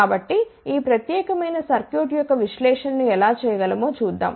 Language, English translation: Telugu, So, let us see how we can do the analysis of this particular circuit